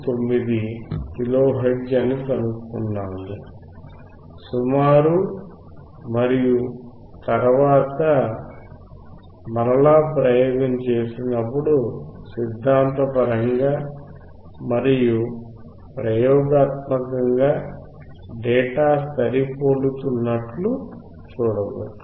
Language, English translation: Telugu, 59 kilo hertz and then when we perform the experiment we could see that theoretically and experimentally the data is matching